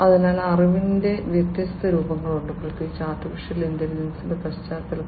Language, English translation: Malayalam, So, there are different forms of knowledge particularly in the context of AI